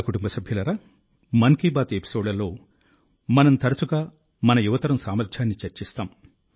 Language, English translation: Telugu, My family members, in episodes of 'Mann Ki Baat', we often discuss the potential of our young generation